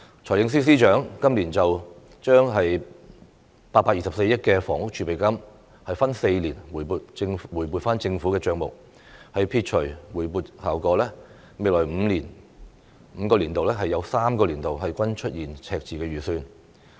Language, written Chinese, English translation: Cantonese, 財政司司長今年將824億元房屋儲備金分4年回撥政府帳目，撇除回撥效果，未來5個年度有3個年度均出現赤字預算。, Starting from this year the Financial Secretary will bring back the Housing Reserve of 82.4 billion to the fiscal reserve over four years . After discounting the balance to be brought back budget deficit will occur in three years among the coming five years